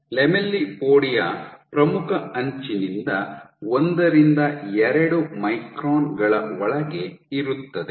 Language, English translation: Kannada, So, this, lamellipodia is within first 1 to 2 microns from the leading edge